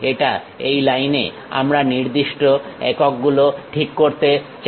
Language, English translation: Bengali, Now, this line we would like to specify certain units